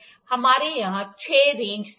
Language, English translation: Hindi, We have six range sets here